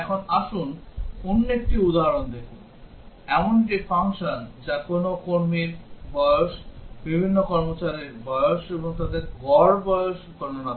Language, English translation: Bengali, Now, let us look at another example Given a function which reads the age of an employee, age of various employees, and computes their average age